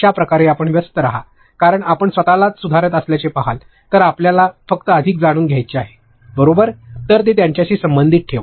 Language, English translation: Marathi, That is how you remain engaged, because if you are going to see yourself improving you would only want to learn more, right; so, the keep it relevant to them